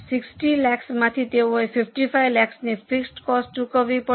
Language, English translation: Gujarati, From 60 lakhs they have to pay fixed cost of 55 lakhs